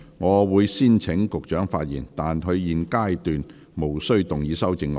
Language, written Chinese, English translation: Cantonese, 我會先請局長發言，但他在現階段無須動議修正案。, I will first call upon the Secretary to speak but he is not required to move his amendment at this stage